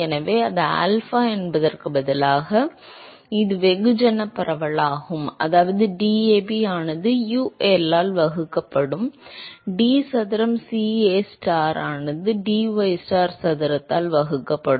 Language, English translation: Tamil, So, instead of alpha it is, it is mass diffusivity so that will be DAB divided by UL into d square CAstar divided by dystar square